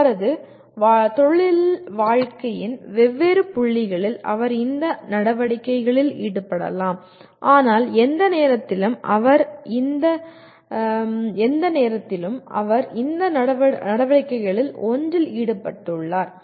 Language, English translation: Tamil, Maybe at different points in his career he may be involved in these activities, but by and large at any given time he is involved in one of these activities